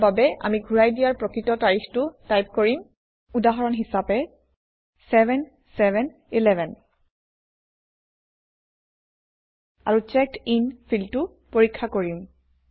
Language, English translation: Assamese, For this, we will type in the actual return date, for example 7/7/11 And check the Checked In field